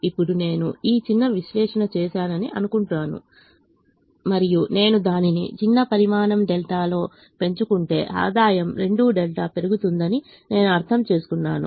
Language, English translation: Telugu, now let me assume that i have done this little analysis and i have understood that if i increase it by a small quantity delta, the the revenue will increase by two delta